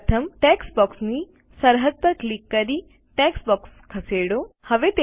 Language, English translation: Gujarati, Move the text box by first clicking on the border of the text box